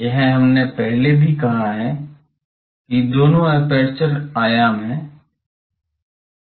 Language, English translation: Hindi, This we have said earlier also that the both the aperture dimensions